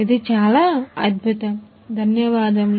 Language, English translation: Telugu, Wonderful thank you